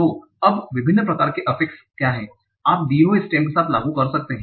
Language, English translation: Hindi, So now what are the different types of affixes that you can apply with a given stem